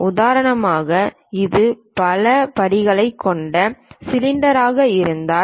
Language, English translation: Tamil, For example, if it is a cylinder having multiple steps